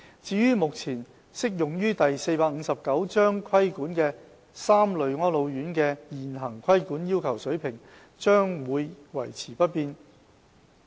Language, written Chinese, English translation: Cantonese, 至於目前適用於受第459章規管的3類安老院的現行規管要求水平，將會維持不變。, The existing level of regulatory requirements for the three existing types of residential care homes under Cap